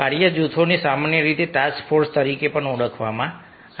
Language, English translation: Gujarati, task groups are also commonly referred to as task forces